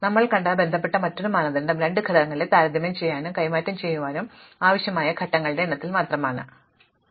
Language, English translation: Malayalam, Another criteria, which is related to what we just saw is that we have only concentrated on the number of steps required in order to compare and exchange two elements